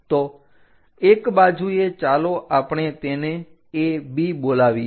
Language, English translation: Gujarati, So, on one side let us call this is A B